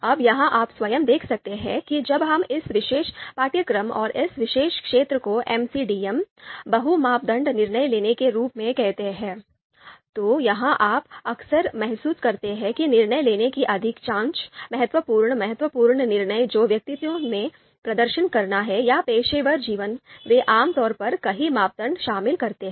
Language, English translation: Hindi, Now here itself you can see that when we call you know this particular course and this particular area as MCDM, multi criteria decision making, here you would see you know you would often feel that most of the decision making, the important key decision makings that one has to perform in personal or professional lives you know they typically involve multiple criteria